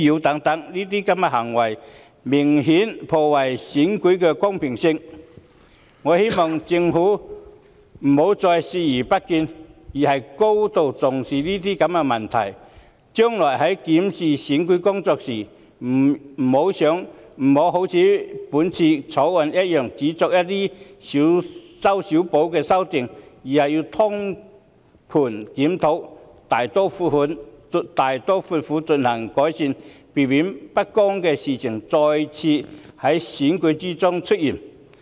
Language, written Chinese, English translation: Cantonese, 這些行為明顯破壞選舉公平，我希望政府不要再視而不見，而應高度重視這些問題；日後檢視選舉工作時，不要如《條例草案》般只作一些"小修小補"的修訂，而應通盤檢討，大刀闊斧地作出改善，避免不公平的事情再次在選舉中出現。, I hope that the Government will cease to turn a blind eye to all this and it should attach great importance to these issues . When reviewing its work in respect of elections in future it should not merely introduce amendments which amount to only small patch - ups just like those in the Bill . Rather it should conduct a comprehensive review to make improvement in a bold and resolute manner so as to prevent the recurrence of instances of injustice in elections